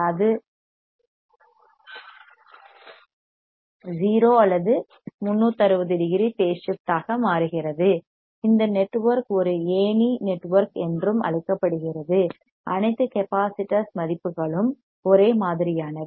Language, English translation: Tamil, So, 180 degree phase shift it becomes 0 or 360 degree phase shift right the network is also called a ladder network all the resistance value all the capacitor values are same